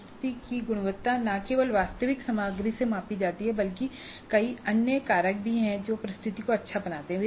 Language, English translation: Hindi, Now a presentation is measured not only the quality of presentation is measured not only by the actual content but there are several other factors which go to make the presentation a good one